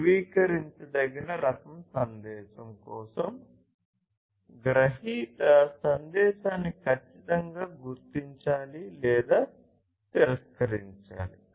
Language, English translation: Telugu, For confirmable type message, the recipient must exactly explicitly either acknowledge or reject the message